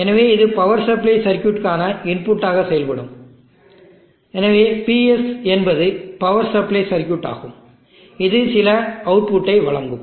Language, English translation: Tamil, So this will act as the input to the power supply circuit, so PS is the power supply circuit which will deliver some output